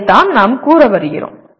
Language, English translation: Tamil, That is what we are coming to